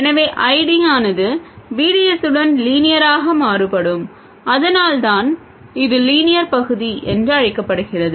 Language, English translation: Tamil, So, ID varies linearly with VDS and this is why it is called the linear region